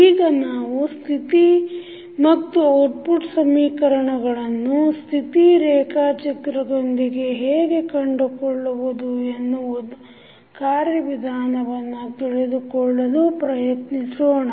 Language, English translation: Kannada, Now, let us try to find out the procedure of deriving the state and output equations from the state diagram